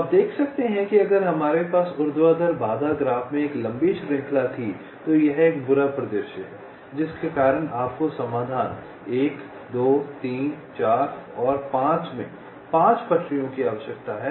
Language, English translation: Hindi, so you can see that if we had a long chain in the vertical constraint graph, this is a bad scenario, because of which you need five tracks in the solution: one, two, three, four and five